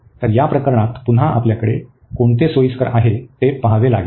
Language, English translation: Marathi, So, again in this case we have to see which one is convenient now